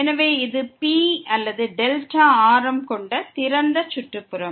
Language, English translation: Tamil, So, this is the open neighborhood of P or with radius this delta